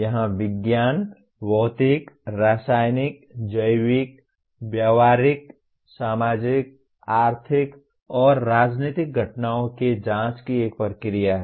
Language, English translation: Hindi, Here science is a process of investigation of physical, chemical, biological, behavioral, social, economic and political phenomena